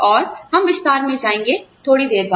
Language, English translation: Hindi, And, we will go into detail, a little later